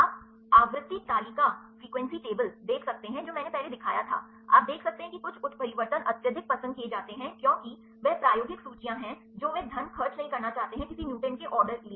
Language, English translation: Hindi, You can see the frequency table I showed this earlier so, you can see the some mutations are highly preferred because, they experimental lists they do not want to spend the money for a any on order mutant